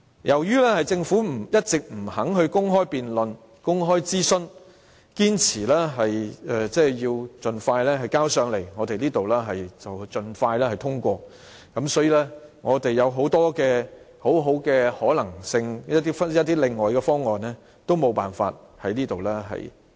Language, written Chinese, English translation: Cantonese, 由於政府一直不肯公開辯論和公開諮詢，堅持盡快提交立法會和盡快通過，所以，很多其他的可能性和方案都無法提出。, As the Government has all along refused to conduct any open debate and public consultation insisting on the introduction of the Bill to the Legislative Council and its expeditious passage it was impossible for many other possibilities and options to be put forward